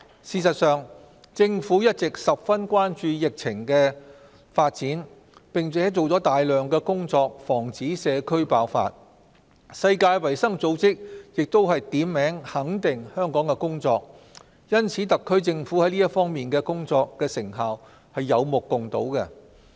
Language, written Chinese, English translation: Cantonese, 事實上，政府一直十分關注疫情發展，並做了大量工作防止社區爆發，世界衞生組織亦都點名肯定香港的工作，因此特區政府這方面的工作成效是有目共睹的。, As a matter of fact the Government has been concerned with the pandemic and has made a lot of efforts to prevent an outbreak in community . The World Health Organization has made positive remarks on Hong Kongs effort . For that reason the endeavour made by the SAR Government in this regard speaks for itself